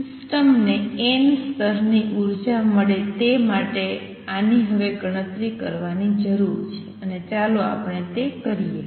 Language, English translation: Gujarati, This is what we need to calculate now for the system to get the nth level energy and let us do that next